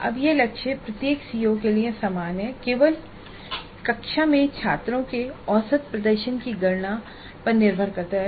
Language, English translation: Hindi, Now this target is same for every CO and it depends only on computing the average performance of the students in the class